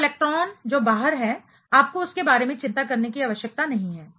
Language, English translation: Hindi, So, electrons that is outside, you do not have to worry about that